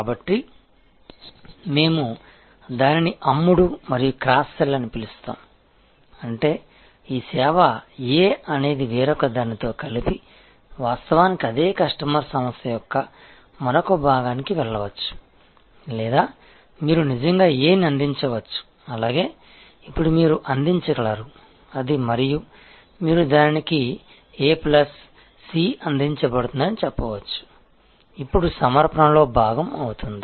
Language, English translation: Telugu, So, that is what we call up sell and cross sell means that this service A combined with something else may actually go to another part of that same customer organization or you can actually provide A as well as may be you can now, enhance that and you can say A plus C will be offer to that, will now be part of the offering